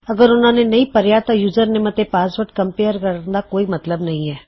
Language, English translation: Punjabi, If they havent, there is no point in comparing the username to the password